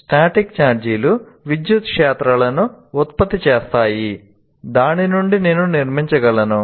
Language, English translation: Telugu, And the static charges produce electric fields and then like this I can keep on building